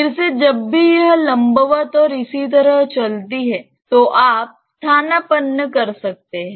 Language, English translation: Hindi, Again like whenever it is vertically moving and so on you can substitute